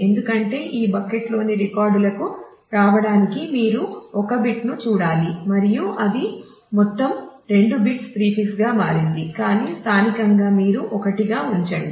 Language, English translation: Telugu, Because it is you just need to look at one bit to be able to come to the records in this bucket and the globally it has changed to 2 bits prefix, but locally you keep it as 1